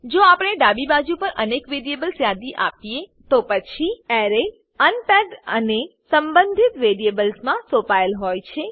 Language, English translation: Gujarati, If we list multiple variables on the left hand side, then the array is unpacked and assigned into the respective variables